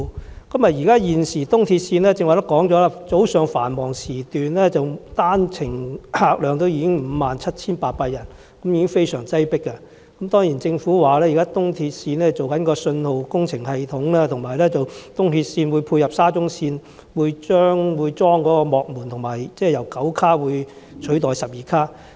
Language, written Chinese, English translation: Cantonese, 正如剛才提及，現時東鐵線早上繁忙時段單程客量已經達57800人，十分擠迫，政府說現時東鐵線正在更新信號系統，以及為配合沙中線安裝幕門，並且列車會由9節車廂取代之前的12節車廂。, As mentioned earlier the patronage per hour per direction during the morning peak hours for ERL has already reached 57 800 passenger trips and it is very crowded . According to the Government ERL is now upgrading its signalling system and in view of the retrofitting of platform screen doors at SCL the current 12 - car trains will be replaced by 9 - car trains